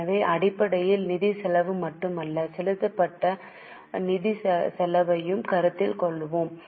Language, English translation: Tamil, So, we will consider basically the finance cost paid, not just the finance cost